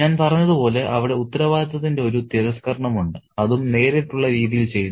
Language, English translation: Malayalam, And as I said, there is a rejection of responsibility and that too done in a direct manner